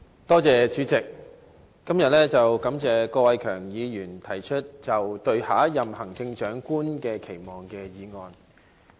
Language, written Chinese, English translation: Cantonese, 代理主席，感謝郭偉强議員今天提出這項"對下任行政長官的期望"的議案。, Deputy President I would like to thank Mr KWOK Wai - keung for moving this motion today on Expectations for the next Chief Executive